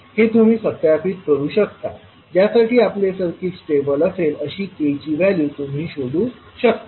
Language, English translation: Marathi, So this you can verify, you can find out the value of k for which your circuit will be stable